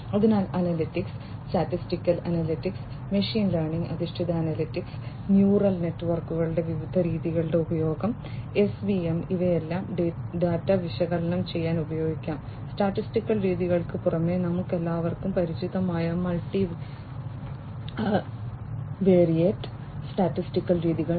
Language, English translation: Malayalam, So, analytics, statistical analytics, machine learning based analytics, use of different methods you know neural networks, SVM, etcetera, you know, all of these could be used to analyze the data, in addition to the statistical methods the multivariate statistical methods that we are all familiar with